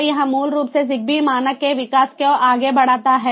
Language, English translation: Hindi, so this basically guides the development of thezigbee standard forward